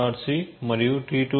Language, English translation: Telugu, c and T2